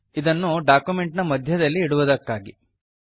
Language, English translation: Kannada, To place this at the center of the document